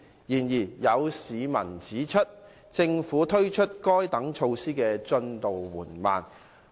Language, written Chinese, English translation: Cantonese, 然而，有市民指出，政府推行該等措施的進展緩慢。, However some members of the public have pointed out the slow progress made by the Government on the implementation of such measures